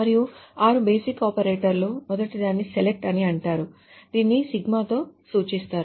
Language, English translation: Telugu, And the six basic operators are the first one is called select which is denoted by sigma